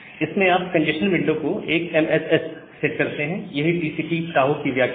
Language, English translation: Hindi, And set the congestion window to 1MSS, so that is the idea of TCP Tohoe